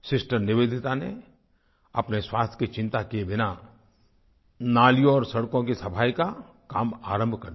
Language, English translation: Hindi, Sister Nivedita, without caring for her health, started cleaning drains and roads